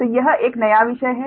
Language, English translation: Hindi, so this is a new topic